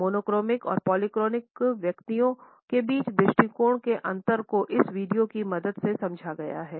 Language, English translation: Hindi, The differences of attitude between monochronic and polychronic individuals can be further understood with the help of this video